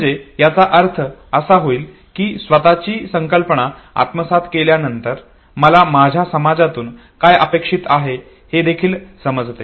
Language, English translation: Marathi, So that would mean that after acquiring the concept of the self, I also understand what my society expects out of me